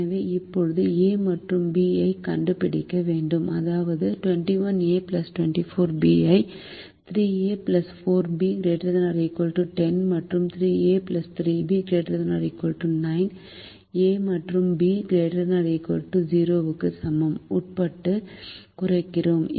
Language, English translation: Tamil, so now a and b have to be found such that we minimize twenty one a plus twenty four b, subject to three a plus four b is greater than or equal to ten, and three a plus three b is greater than or equal to nine, a and b greater than or equal to zero